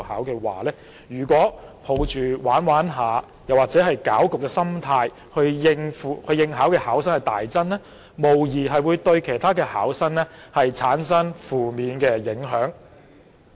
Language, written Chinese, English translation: Cantonese, 要是有人抱着"玩玩下"或攪局的心態去應考而令考生大增，無疑會對其他考生造成負面的影響。, If some people enter for the examination for fun or to cause disturbances and thus the number of candidates sharply increases it will undoubtedly create a negative impact on other candidates